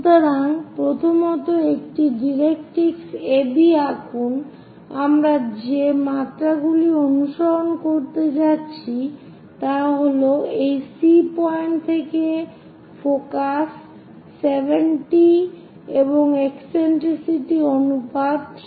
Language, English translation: Bengali, So, first of all, draw a directrix AB and the dimensions what we are going to follow is focus from this C point supposed to be 70 and eccentricity ratio is 3 by 4